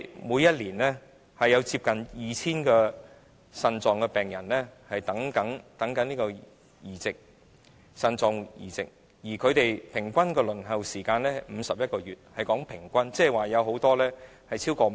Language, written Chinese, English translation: Cantonese, 每年有接近 2,000 名腎病病人正在輪候腎臟移植，而平均的輪候時間是51個月，這是平均數字，即是說很多病人已輪候了超過5年。, Every year nearly 2 000 renal patients are waiting for kidney transplantation and the average waiting time is 51 months . This is only an average figure meaning that many patients have been waiting for more than five years